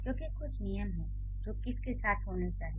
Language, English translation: Hindi, Because there are certain rules which should occur with word